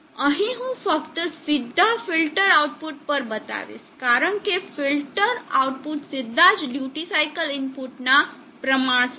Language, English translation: Gujarati, Here I will just show the directly at the filter output, because the filter output is directly proportional to the duty cycle